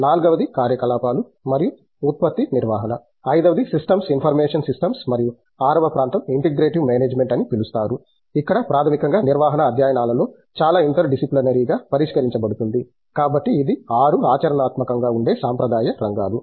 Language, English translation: Telugu, The forth is operations and production management, the fifth is systems information systems and then sixth area which you called as integrative management where basically a lot of interdisciplinary within the management studies is addressed to; so this are the traditional areas in 6 functional silos